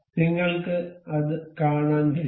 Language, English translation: Malayalam, You can see